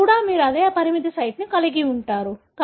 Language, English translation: Telugu, Here also you are going to have the same restriction site